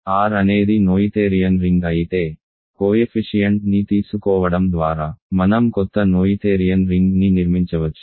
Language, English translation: Telugu, If R is a noetherian ring, we can construct a new noetherian ring by just taking the coefficient